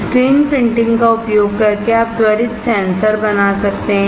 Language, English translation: Hindi, Using screen printing you can make quick sensors